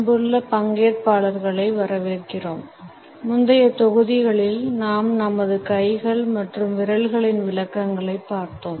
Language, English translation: Tamil, Welcome dear participants, in the prior modules we have looked at the interpretations of our hands and fingers